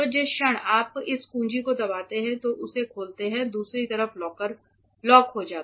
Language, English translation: Hindi, So, the moment you press this key the moment you press this key and open it the other side get locked